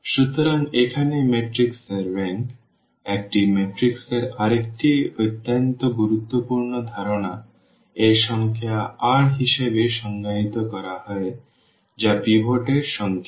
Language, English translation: Bengali, So, here the rank of the matrix another very important concept of a matrix is defined as this number r which is the number of the pivots